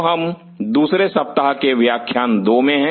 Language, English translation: Hindi, So, we are into week 2 lecture 2